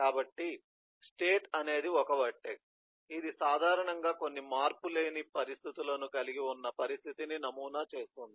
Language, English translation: Telugu, so state is a vertex that models the situation during which usually some invariant conditions hold